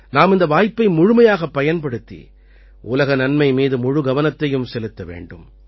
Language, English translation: Tamil, We have to make full use of this opportunity and focus on Global Good, world welfare